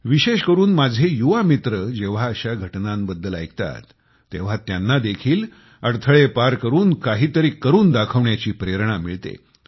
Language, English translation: Marathi, Especially my young friends, when we hear about such feats, we derive inspiration to touch heights despite obstacles